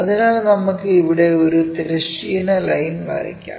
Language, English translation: Malayalam, So, let us draw a horizontal line also here